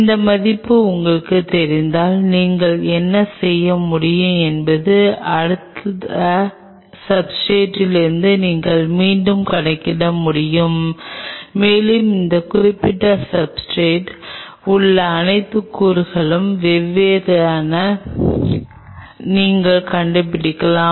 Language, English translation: Tamil, If you know that value and what you can do is you can back calculate from this next substrate and you can figure out what all elements are present on that particular substrate right